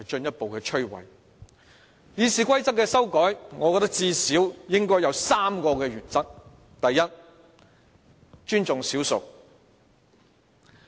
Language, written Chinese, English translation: Cantonese, 就修改《議事規則》而言，我認為最少有3個原則：第一，尊重少數。, Speaking of amending the Rules of Procedure I think there are at least three principles we should observe . First we should respect the minority